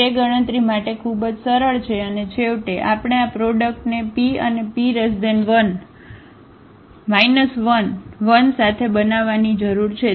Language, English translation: Gujarati, So, that is very simple to compute and then finally, we need to make this product with the P and the P inverse